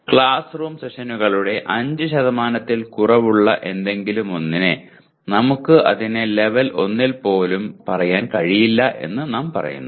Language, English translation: Malayalam, Anything less than 5% of classroom sessions, we say you cannot even say it is 1